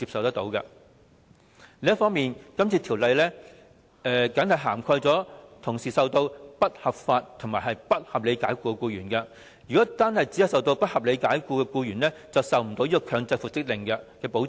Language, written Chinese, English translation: Cantonese, 此外，《條例草案》的保障僅僅涵蓋同時受到不合理及不合法解僱的僱員，如果只是受到不合理解僱的僱員，便無法得到強制復職令的保障。, Moreover the protection of the Bill only covers employees who are unreasonably and unlawfully dismissed . If the employee is only unreasonably dismissed he cannot obtain any protection under an order for mandatory reinstatement